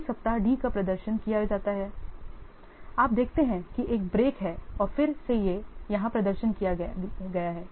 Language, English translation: Hindi, These weeks D is performed and you see the algebraic and again D is performed here